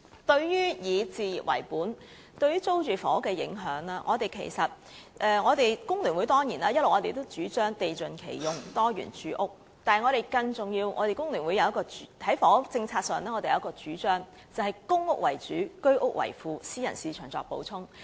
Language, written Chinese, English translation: Cantonese, 關於以置業為本對租住房屋的影響，雖然工聯會主張"地盡其用，多元住屋"，但我們在房屋政策上有一項更重要的主張，便是公屋為主，居屋為輔，私人市場作補充。, Regarding the impact of focusing on home ownership on rental housing despite FTUs advocacy of full utilization of land and diversified housing we have another more important advocacy on the housing policy which is using PRH as the mainstay complemented by the Home Ownership Scheme HOS and supplemented by the private market